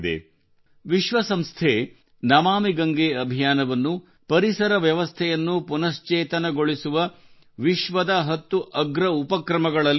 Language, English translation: Kannada, The United Nations has included the 'Namami Gange' mission in the world's top ten initiatives to restore the ecosystem